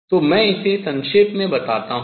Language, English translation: Hindi, So, let me just summarize this